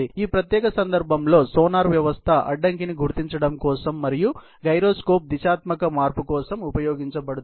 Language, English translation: Telugu, A sonar system is used for obstacle detection and gyroscope for directional change in this particular case